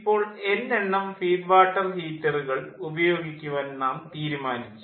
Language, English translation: Malayalam, now we have decided that we will use in number of feed water heater